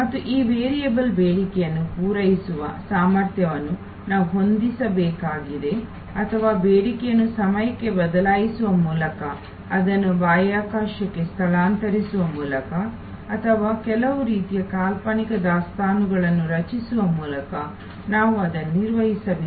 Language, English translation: Kannada, And we have to either adjust the capacity to meet this variable demand or we have to manage the demand itself by shifting it in time, shifting it in space or create some kind of notional inventory